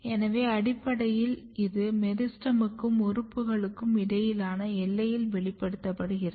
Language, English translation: Tamil, So, basically this is expressed here in the boundary between meristem and the organs this is very important